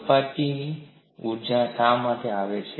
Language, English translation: Gujarati, Why do the surface energies come out